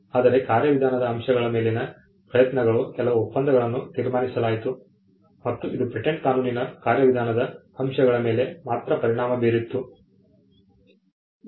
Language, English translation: Kannada, Whereas, the efforts on procedural aspects, there were certain treaties concluded and which only had an effect on the procedural aspect of patent law